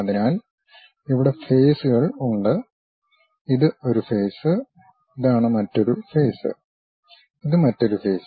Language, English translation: Malayalam, So, here the faces are; this is one face, this is the other face and this is the other face